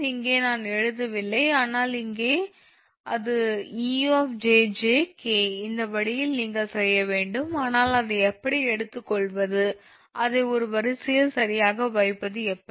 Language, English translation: Tamil, here i am not writing, but here it is actually ejjk, this way you to make, but how to take it, how to take it, how to, how to put it in a array like what we will do